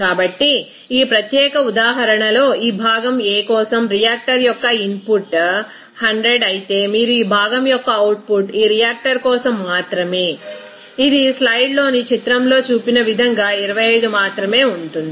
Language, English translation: Telugu, So, in this particular example, you will see that the input of reactor for this component A is 100 whereas output of component of this A only for this reactor it will be only 25 as shown here in the figure in the slide